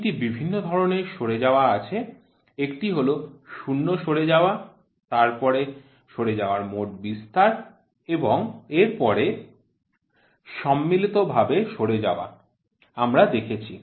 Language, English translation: Bengali, There are three different types of drifts; one is zero drift, span drift and then it is a combination drift we saw